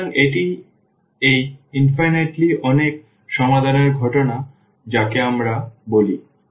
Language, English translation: Bengali, So, now this is the case of this infinitely many solutions which we call